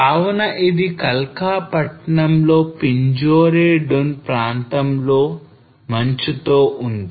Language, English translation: Telugu, So this is in Kalka town which is sitting in the Pinjore Dun area